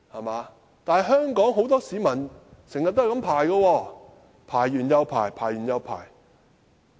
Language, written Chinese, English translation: Cantonese, 不過，香港很多市民經常要這樣排隊輪候，排完又排。, However many people in Hong Kong are always waiting in such a manner one after another